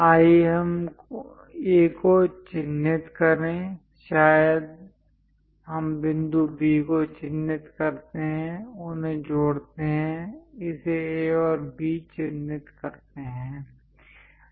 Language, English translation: Hindi, Let us mark A; perhaps let us mark point B, join them;mark it A and B